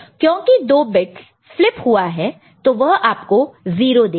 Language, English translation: Hindi, Since 2 bits have been flipped, so it will be giving you 0